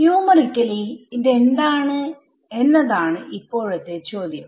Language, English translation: Malayalam, Now the question is numerically what is it